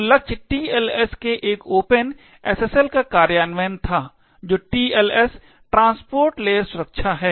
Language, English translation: Hindi, So, the target was an open SSL implementation of TLS, so TLS is the transport layer security